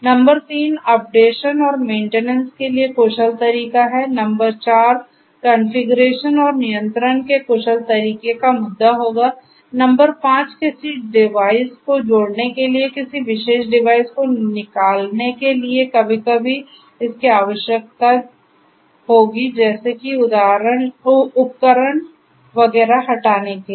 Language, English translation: Hindi, Number 3 is efficient way of carrying out updations and maintenance, number 4 would be the issue of efficient way of configuration and control, number 5 would be if it is required sometimes it is required sometimes it is required to remove a particular device, to add a device, to change a device, to remove a device and so on